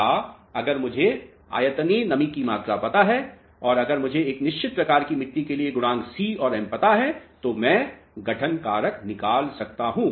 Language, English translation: Hindi, Or, if I know the volumetric moisture content and if I know c and m coefficients for a certain type of soil, I can obtain the formation factor